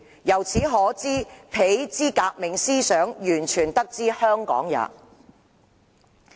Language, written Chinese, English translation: Cantonese, 由此可知彼之革命思想完全得之香港也。, This shows that my revolutionary ideas are all derived from Hong Kong